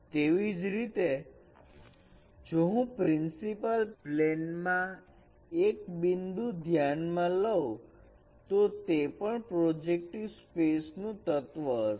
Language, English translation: Gujarati, Similarly, if I have considered a point in the principal plane ideal plane, that is also an element of the projective space